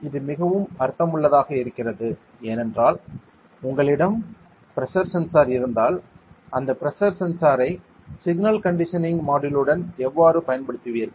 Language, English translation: Tamil, And it makes a lot of sense because once you have pressure sensor how you will be using this in a single condition module to use the pressure sensor